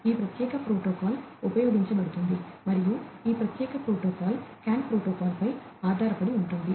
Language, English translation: Telugu, This particular protocol could be used and this particular protocol is based on the CAN protocol